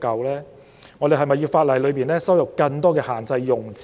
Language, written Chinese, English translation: Cantonese, 是否有必要在法例加入更多限制用詞？, Is it necessary to include more restricted descriptions in the legislation?